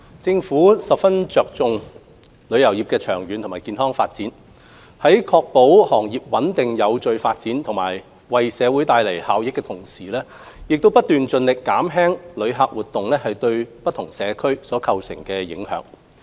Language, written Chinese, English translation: Cantonese, 政府十分重視旅遊業的長遠健康發展，在確保行業穩定有序發展及為社會帶來效益的同時，亦不斷盡力減輕旅客活動對社區構成的影響。, The Government attaches great importance to the sustainable and healthy development of the tourism industry . Whilst ensuring that the industry develops in a stable and orderly manner and brings about benefits to society we are constantly seeking to minimize as far as possible the impact of tourist activities on the local community